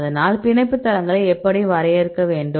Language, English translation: Tamil, So, how to define the binding sites